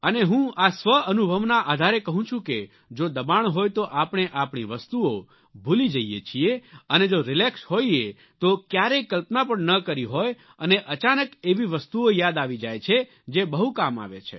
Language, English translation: Gujarati, And it is by my own personal experience that I'm telling you that if you're under pressure then you forget even your own things but if you are relaxed, then you can't even imagine the kind of things you are able to remember, and these become extremely useful